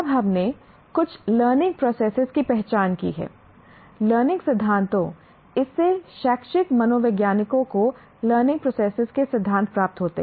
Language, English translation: Hindi, Now we have identified a few learning processes, learning theories from this educational psychologists derive principles of learning process